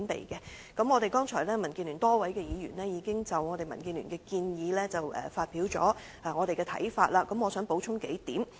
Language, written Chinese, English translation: Cantonese, 剛才民主建港協進聯盟多位議員已經就民建聯的建議發表一些想法，我想補充數點。, On top of the views expressed by some Members of the Democratic Alliance for the Betterment and Progress of Hong Kong DAB on the DAB proposals I would like to add some points